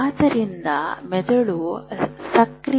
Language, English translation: Kannada, So brain is like all the time it is active